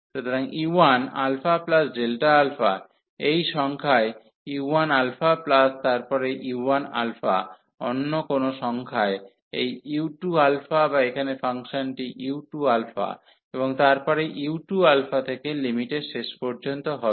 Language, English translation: Bengali, So, u 1 alpha plus delta alpha to this number u 1 alpha plus then u 1 alpha to some other number this u 2 alpha or the function here u 2 alpha, and then from u 2 alpha to the end of the limit